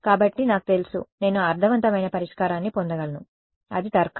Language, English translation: Telugu, So, that I know, I can get I will get a meaningful solution right, that is the logic